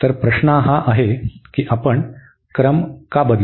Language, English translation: Marathi, So, the question is here that why do we change the order